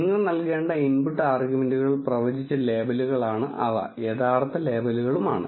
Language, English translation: Malayalam, And the input arguments that you need to give are the predicted labels and the true labels